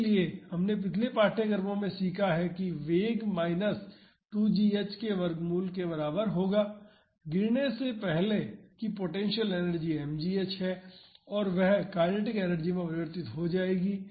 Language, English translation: Hindi, So, we have learnt in previous courses that that velocity will be equal to minus root 2 g h, the potential energy before dropping is m g h and that will be converted to kinetic energy